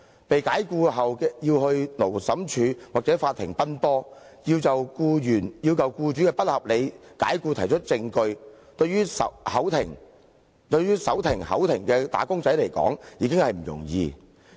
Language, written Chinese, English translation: Cantonese, 被解僱後，僱員要到勞審處或法庭奔波，要就僱主的不合理解僱提出證據，對於手停口停的"打工仔"來說，已經不容易。, After being dismissed the employee working hand to mouth will find difficult to attend the Labour Tribunal and the court on various occasions and provide evidence of unreasonable dismissal by the employer